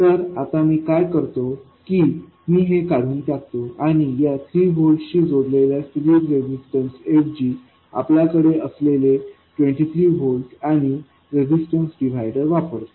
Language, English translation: Marathi, I will remove this and instead of 3 volts with a series resistance I will have 23 volts and a resistive divider R1, R2